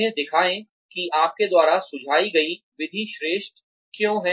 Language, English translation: Hindi, Show, why the method you suggest is superior